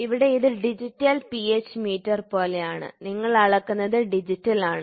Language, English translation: Malayalam, So, here it is something like digital pH meter, you have measured is digital